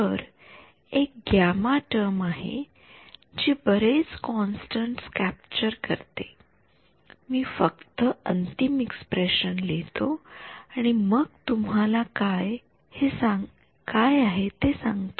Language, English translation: Marathi, So, there is a term gamma comes which captures a lot of the constants I will just write down the final expression and then tell you what this is